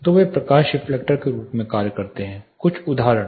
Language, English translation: Hindi, So, they acts also act as light reflectors some of the examples